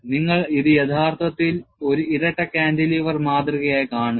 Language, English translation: Malayalam, You are actually looking this as a double cantilever specimen